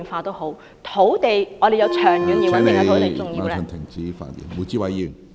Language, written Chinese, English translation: Cantonese, 我們都要有長遠而穩定的土地......, As a matter of fact disregarding demographic changes we still need a long - term and steady land supply